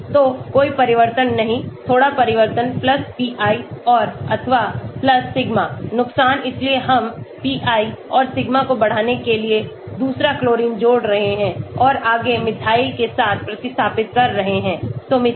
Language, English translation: Hindi, So, no change little changes +pi and/or + sigma, disadvantages so we are adding second chlorine to increase pi and sigma further replace with methyl